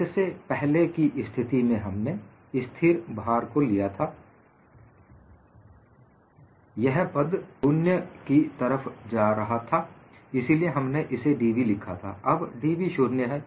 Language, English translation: Hindi, In the earlier case, when we looked at constant load, this term was going to 0; so, we simply wrote what is d v; now, dv is 0